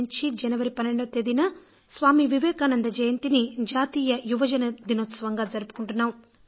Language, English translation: Telugu, Since 1995, 12th January, the birth Anniversary of Vivekananda is celebrated as the National Youth Festival